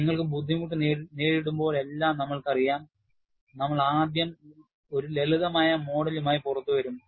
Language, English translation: Malayalam, And you know, whenever we face difficulty, we will first come out with a simplistic model